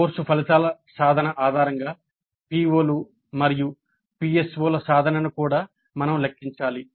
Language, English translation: Telugu, Based on the attainments of the course outcomes we need also to compute the attainment of POs and PSOs